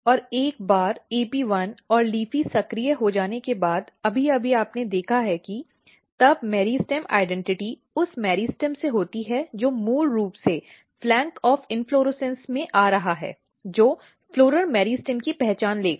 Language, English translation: Hindi, And once AP1 and LEAFY is activated, just now you have seen that then the meristem identity the meristem which is basically coming at the flank of inflorescence will take an identity of floral meristem